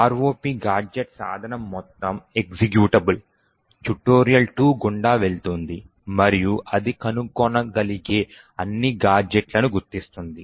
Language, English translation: Telugu, The ROP gadget tool would do was that it would pass through the entire executable, tutorial 2 and identify all possible gadgets that it can find